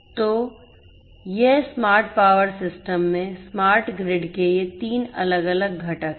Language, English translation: Hindi, So, these are these 3 different components of a smart grid in a smart power system